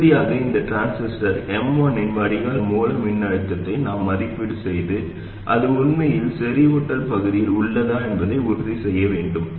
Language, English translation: Tamil, Finally we have to evaluate the drain source voltage of this transistor M1 and make sure that it is indeed in saturation region